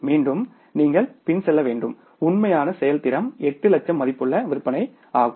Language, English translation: Tamil, Again you have to backtrack that this is my now the actual performance 8 lakh worth of sales